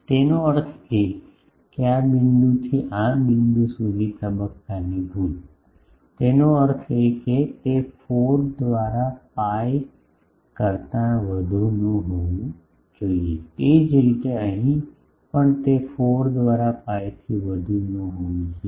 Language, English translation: Gujarati, That means, phase error from this point to this point; that means, that should not exceed pi by 4, similarly here also it should not exceed pi by 4